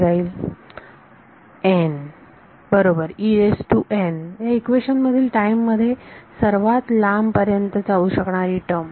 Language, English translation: Marathi, n right E n is the farthest I can go in time in this equation